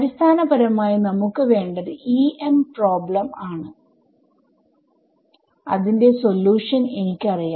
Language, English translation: Malayalam, So, basically we want up what we what is EM problem whose solution I know